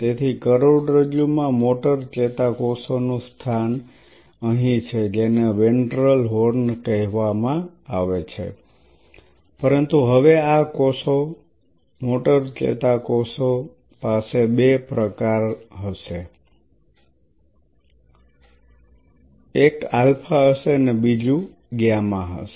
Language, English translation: Gujarati, So, the location of the spinal cord motor neurons is here which is called the ventral horn, but now these cells along with the motor neurons they have there are two types there will be alpha or will be gamma